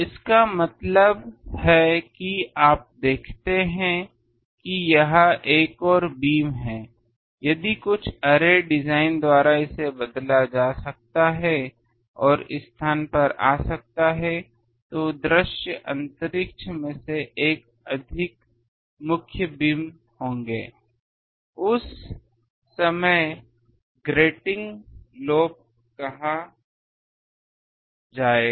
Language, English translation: Hindi, That means, you see this is another beam speak now if by some array design this can be changed and come to this space, then there will be more than one main beam in the visible space so that time this is called grating lobe